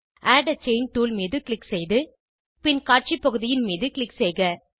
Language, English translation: Tamil, Click on Add a Chain tool, and then click on Display area